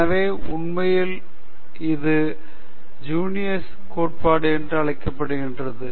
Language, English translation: Tamil, So, it actually debunks this so called Genius Theory